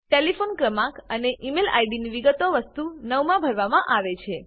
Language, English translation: Gujarati, Telephone Number and Email ID details are to be filled in item 9